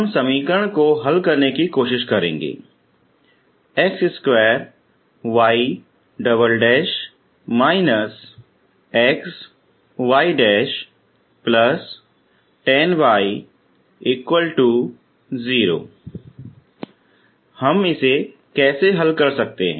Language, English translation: Hindi, So we will try to solve the equation